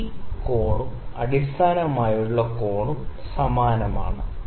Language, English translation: Malayalam, So, this angle alpha and this angle with the base this is same